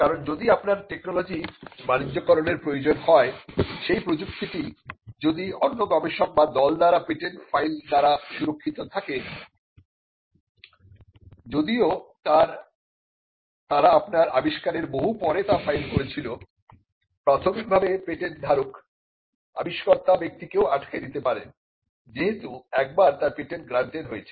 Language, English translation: Bengali, Because, if your technology needs to be commercialized and that technology was protected by a patent file by another researcher or another team though the patent could have been filed much after you invent that the technology; still when the patent is granted, the patent holder can stop the person who developed the invention in the first case